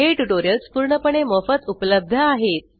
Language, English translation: Marathi, These tutorials are available absolutely free of cost